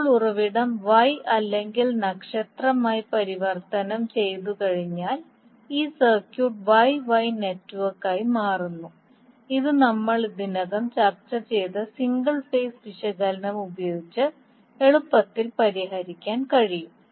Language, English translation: Malayalam, Now once the source is transformed into Y or star, these circuit becomes Y Y network which can be easily solved using single phase analysis which we have already discussed